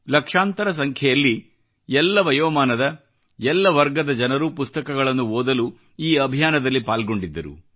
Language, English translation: Kannada, Participants hailing from every age group in lakhs, participated in this campaign to read books